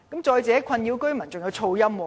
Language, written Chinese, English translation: Cantonese, 再者，困擾居民的還有噪音。, Another nuisance that plagues the residents is noise